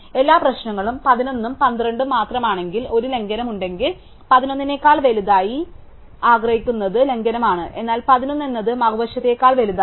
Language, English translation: Malayalam, So, if at all the problems is only would between 11 and 12 and since if there is a violation 12 is bigger than a 11 that is why there is a violation, but 11 is known to be bigger than the other side